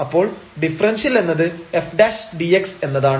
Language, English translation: Malayalam, So, this implies that f is differentiable